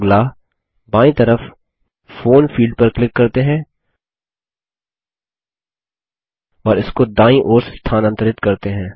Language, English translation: Hindi, Next, let us click on the Phone field on the left and move it to the right